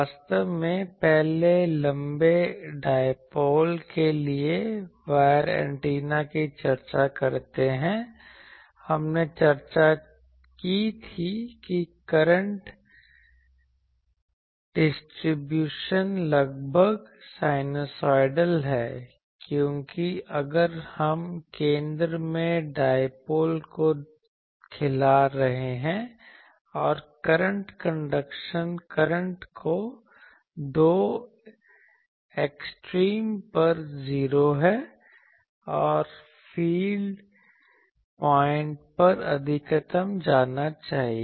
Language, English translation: Hindi, Actually, earlier while discussing wire antenna for long dipoles we discuss that the current distribution is approximately or that time we said that it was sinusoidal, because if we are feeding the dipole at the center, and the currents conduction current should go to 0 at the two extremes, and at the feed point that should go to maximum